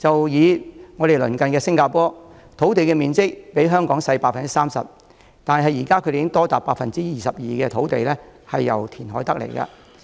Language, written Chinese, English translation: Cantonese, 以鄰近的新加坡為例，其土地面積比香港小 30%， 多達 22% 的土地都是經由填海得來的。, Take for example our neighbour Singapore it is 30 % smaller than Hong Kong in ground area and 22 % of its land are reclaimed from the sea